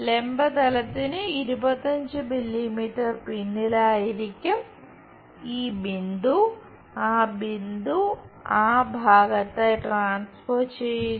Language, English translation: Malayalam, And 25 mm behind VP may be this point, transfer that point somewhere there